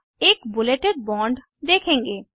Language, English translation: Hindi, You will see a bulleted bond